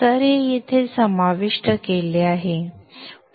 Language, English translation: Marathi, So this is included here